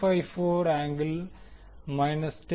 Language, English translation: Tamil, 454 angle minus 10